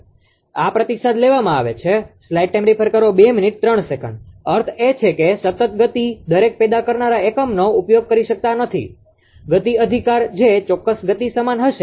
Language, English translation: Gujarati, Now, what we will do, so when two or more generating units are connected to the same system right isochronous, isochronous told you it is means the constant speed, cannot be used since each generating unit that would have to be precisely the same speed setting speed right